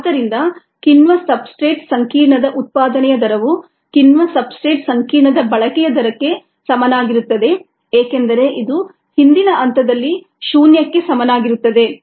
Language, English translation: Kannada, therefore, the rate of generation of the enzyme substrate complex equals the rate of consumption of the ah enzyme substrate complex, because this is equal to zero